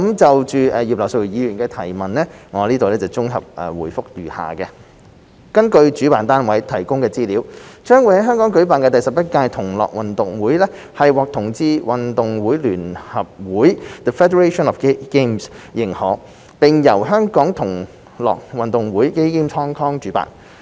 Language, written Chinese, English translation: Cantonese, 就葉劉淑儀議員的質詢，我現綜合回覆如下﹕根據主辦單位提供的資料，將在香港舉辦的第11屆"同樂運動會"獲"同志運動會聯合會"認可，並由"香港同樂運動會"主辦。, My consolidated reply to the question raised by Mrs Regina IP is as follows According to the information provided by the organizer the 11th Gay Games GG2022 to be held in Hong Kong has been recognized by the Federation of Gay Games and will be hosted by the Gay Games Hong Kong